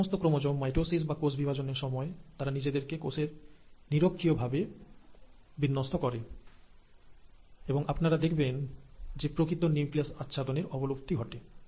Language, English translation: Bengali, Now all these chromosomes, during mitosis or cell division, will align to the equatorial plate of the cell, and you observe here that the nuclear envelope has disappeared